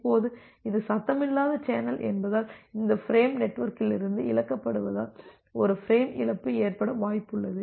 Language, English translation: Tamil, Now, because it is a noisy channel, there is a possibility of having a frame loss because this frame is being lost from the network